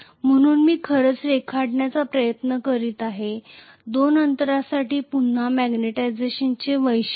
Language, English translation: Marathi, So if I try to actually draw, again the magnetization characteristics for these two distances